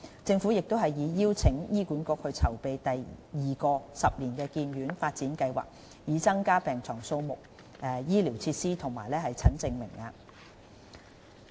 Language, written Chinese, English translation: Cantonese, 政府亦已邀請醫管局籌備第二個十年醫院發展計劃，以增加病床數目、醫療設施和診症名額。, The Government has invited HA to start planning the second 10 - year Hospital Development Plan to deliver additional hospital beds and provide additional facilities and quota for consultation